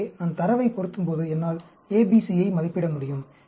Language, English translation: Tamil, So, when I fit the data, I can estimate A, B, C